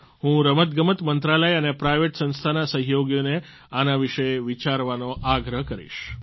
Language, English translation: Gujarati, I would urge the Sports Ministry and private institutional partners to think about it